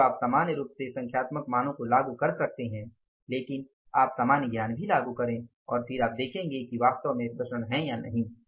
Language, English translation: Hindi, So, you can normally apply the numerical values but you apply the common sense also and then you see that whether actually the variances are there or the variances are not there